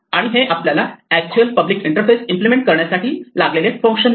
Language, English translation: Marathi, And it gives us the functions that are used to implement the actual public interface